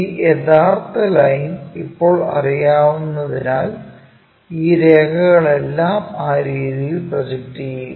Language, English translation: Malayalam, Because we already know this true line now, project all these lines up in that way we project these lines